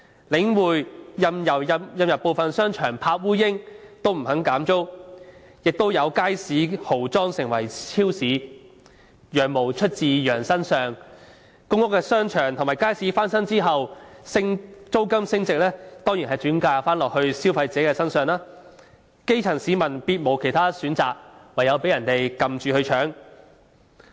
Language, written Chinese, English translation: Cantonese, 領匯任由部分商場鋪位空置也不肯減租，也有街市豪裝成為超市；"羊毛出自羊身上"，公屋商場和街市翻新後，租金升幅當然是轉嫁消費者身上，基層市民別無選擇，唯有被強搶。, Some markets underwent lavish renovation to become supermarkets . And the fleece comes off the sheeps back . After the renovation of shopping arcades and markets in public housing estates rental increases are of course passed onto consumers